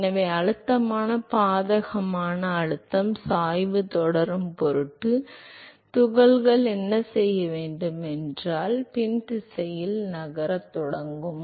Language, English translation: Tamil, So, in order to keep up with the pressure adverse pressure gradient what the particles will do is they will start moving in the backward direction